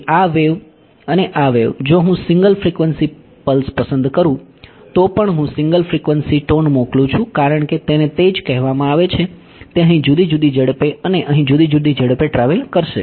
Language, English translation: Gujarati, So, this wave and this wave even if I choose a single frequency pulse I send the single frequency tone as it is called it will travel at different speeds here and at different speeds over here